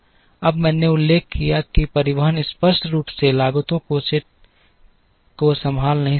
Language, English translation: Hindi, Now, I mentioned the transportation cannot handle set of costs explicitly